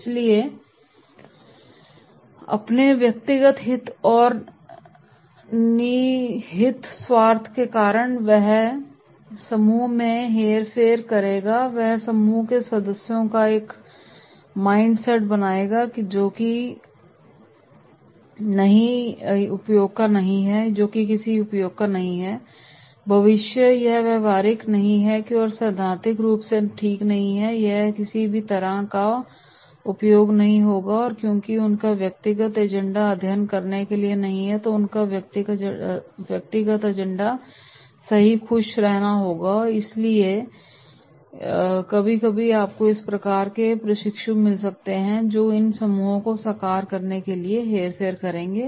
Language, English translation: Hindi, So because of his personal interest and vested interest what he does, he will manipulate the group itself, he will create a mind set of the group members that is “No this is not of use, in future this is not practical, this is theoretical, it will not be of any use and like this” because his personal agenda is not to study, his personal agenda is to be happy right, so therefore sometimes you might get this type of trainees those who will be manipulating these groups for realising the personal agenda